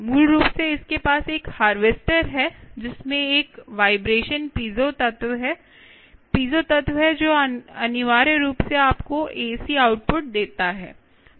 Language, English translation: Hindi, basically, what it has is: there is a harvester, there is a vibration piezo element, piezo element which essentially gives you a c output